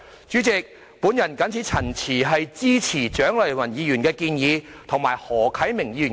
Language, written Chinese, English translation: Cantonese, 主席，我謹此陳辭，支持蔣麗芸議員的議案及何啟明議員的修正案。, With these remarks President I support Dr CHIANG Lai - wans motion and Mr HO Kai - mings amendment